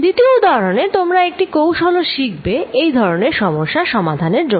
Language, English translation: Bengali, In example 2, you will also learn a trick to deal with such cases